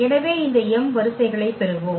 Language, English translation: Tamil, So, we will get these m rows